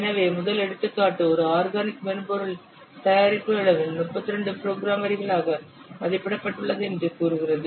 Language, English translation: Tamil, So, first example said that the size of an organic software product has been estimated to be 32 lines of source code